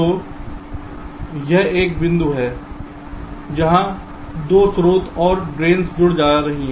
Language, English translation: Hindi, so this is the point where the two source and the drains, are connecting